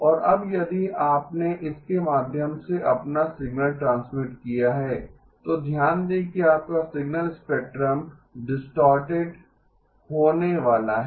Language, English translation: Hindi, And now if you transmitted your signal through this, notice that your signal spectrum is going to get distorted